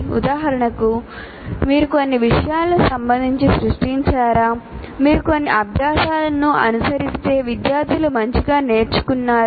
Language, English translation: Telugu, For example, did you create with respect to some subject that if you followed some practice and the students have learned something better